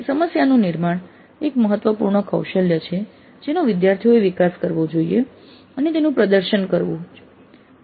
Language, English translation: Gujarati, So the problem formulation is an important skill that the students must develop and demonstrate